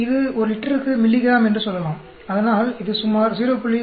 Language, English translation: Tamil, It could be in terms of say milligram per liter; so that comes to about 0